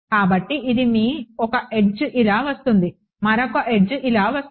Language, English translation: Telugu, So, this is your one edge comes in like this, the other edge if it comes like this